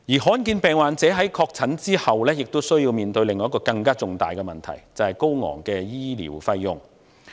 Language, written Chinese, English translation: Cantonese, 罕見疾病患者在確診後也需要面對另一個更重大的問題：高昂的醫療費用。, After the diagnosis of rare disease patients is confirmed they need to face another more significant problem exorbitant medical costs